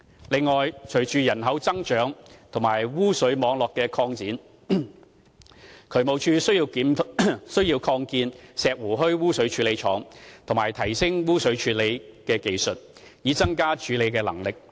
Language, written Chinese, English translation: Cantonese, 此外，隨着人口增長及污水網絡的擴展，渠務署需要擴建石湖墟污水處理廠及提升污水處理技術，以增加處理能力。, In addition along with population growth and sewerage system expansion the Drainage Services Department needs to expand Shek Wu Hui Sewage Treatment Works and upgrade the plants sewage treatment technology so as to enhance its capability